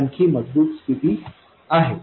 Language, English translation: Marathi, So, this is the stronger condition